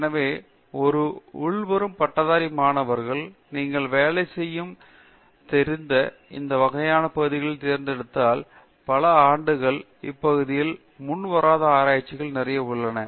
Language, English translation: Tamil, So, an incoming graduate students would, if they picked up these kinds of areas you know to work in then there is a lot of pre existing literature in these areas spread across several years